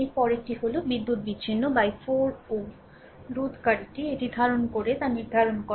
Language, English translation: Bengali, Next one is determine the power dissipated by the 4 ohm resistor in the it is actually hold on